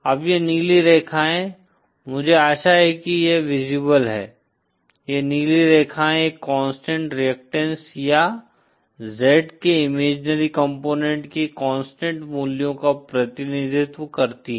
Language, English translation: Hindi, Now these blue lines, I hope itÕs visible, these blue lines represent a constant reactants or constant values of the imaginary component of Z